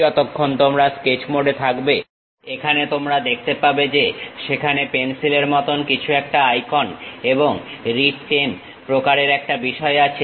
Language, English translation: Bengali, If you as long as you are in sketch mode, here you can see that there is something like a icon with pencil kind of thing and writ10 kind of thing